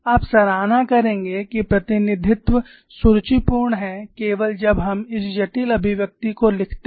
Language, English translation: Hindi, You would appreciate that representation is elegant only when we write down this complex expressions